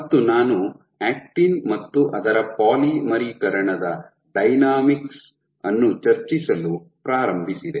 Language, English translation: Kannada, and I had started discussing with actin and its polymerization dynamics